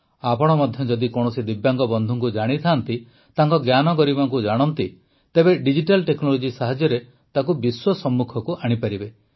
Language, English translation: Odia, If you also know a Divyang friend, know their talent, then with the help of digital technology, you can bring them to the fore in front of the world